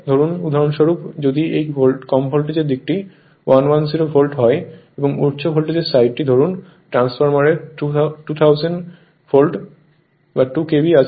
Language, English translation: Bengali, Suppose for example, if this low voltage side is 110 Volt and the high voltage side suppose transformer you have2000 Volt 2 KV